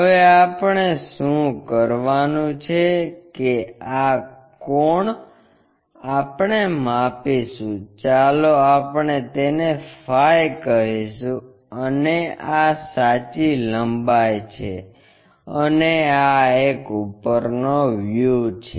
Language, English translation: Gujarati, Now, what we have to do is this angle we will measure, let us call phi, and this is true length, and this one is top view